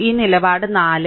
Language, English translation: Malayalam, So, this stance is 4